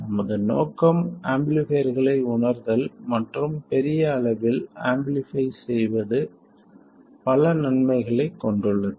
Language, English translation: Tamil, That is, our aim is to realize amplifiers and amplifying by a large amount has lots of benefits